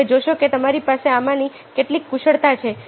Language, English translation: Gujarati, you see that, ah, you have some of these skills